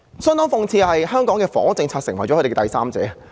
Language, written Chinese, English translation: Cantonese, 相當諷刺的是，香港的房屋政策成為他們之間的第三者。, Quite ironically the housing policy in Hong Kong has become the intruder in their relationship